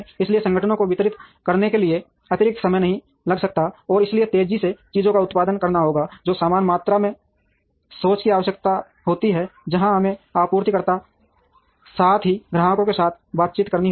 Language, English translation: Hindi, So, organizations cannot take additional time to deliver, and therefore have to produce things faster which also necessitates the same amount of thinking, where we have to interact with the suppliers, as well as the customers